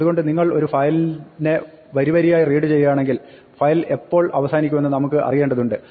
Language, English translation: Malayalam, So, if you are reading a file line by line then we may want to know when the file has ended